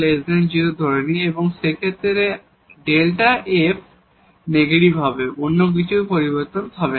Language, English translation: Bengali, So, this delta f will be negative in that case nothing else will change